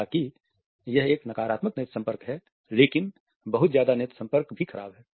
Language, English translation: Hindi, However, if a negative eye contact is, but too much of an eye contact is equally bad if not worse